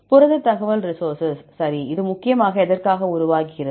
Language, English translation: Tamil, Protein information resource right; so what is it mainly develop for what